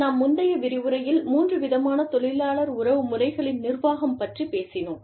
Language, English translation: Tamil, We talked about, in the previous lecture, we talked about, three types of management, of the labor relations process